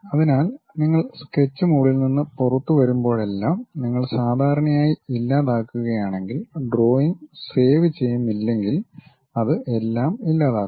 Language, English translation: Malayalam, So, whenever you are coming out of sketch mode if you are deleting usually if you are not saving the drawing it deletes everything